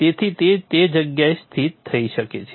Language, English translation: Gujarati, So it will be located in that place